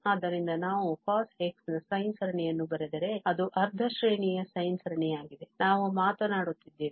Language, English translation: Kannada, So, if we write the sine series of this cos x in this, so it is half range sine series we are talking about